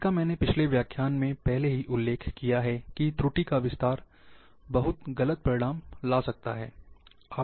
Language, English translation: Hindi, This I have already mentioned in the previous lecture, that error propagation can lead to very erroneous results